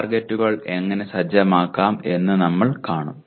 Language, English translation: Malayalam, How to set the targets we will see